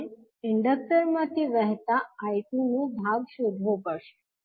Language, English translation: Gujarati, We have to find out the portion of I2 flowing through the Inductor